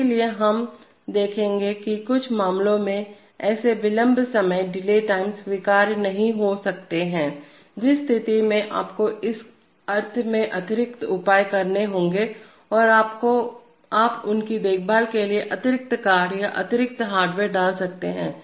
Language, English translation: Hindi, So we shall see that in certain cases these, such delay times may not be acceptable in which case you have to take additional measure in the sense that you might put additional cards or additional hardware for taking care of them